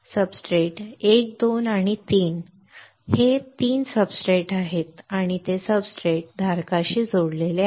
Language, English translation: Marathi, These are substrate 1 2 and 3 these are 3 substrates and they are connected to the substrate holder